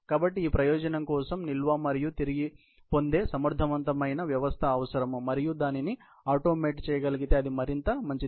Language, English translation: Telugu, So, for this purpose, there efficient system of storage and retrieval is needed and by and large, if it can be automated, it is even better